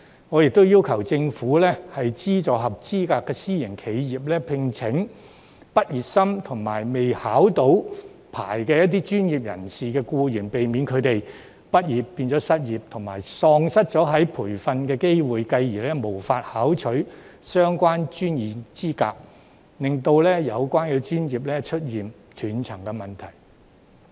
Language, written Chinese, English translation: Cantonese, 我又要求政府資助合資格的私營企業聘請畢業生及未獲牌照的專業僱員，以免他們畢業變成失業，喪失培訓機會，繼而無法考取相關的專業資格，令有關的專業出現斷層。, I have also requested the Government to subsidize eligible private enterprises to employ graduates and professional employees who have not yet obtained their licence so that graduates will not become unemployed after graduation lose their training opportunities and then fail to obtain the relevant professional qualifications thereby creating a succession gap in the relevant professions